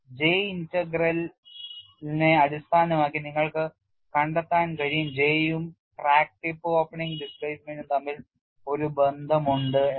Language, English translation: Malayalam, I will not getting into the derivation part of it, you will be able to find out based on J integral there is a relationship between J and crack tip opening displacement